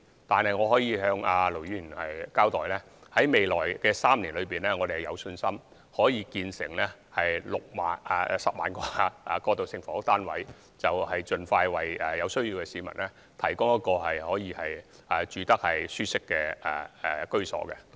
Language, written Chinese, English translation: Cantonese, 可是，我可以向盧議員交代，在未來3年，我們有信心可建成1萬個過渡性房屋單位，盡快為有需要的市民提供舒適的居所。, Nevertheless I can tell Ir Dr LO that we are confident that 10 000 transitional housing flats can be completed in the coming three years to provide comfortable dwellings for people in need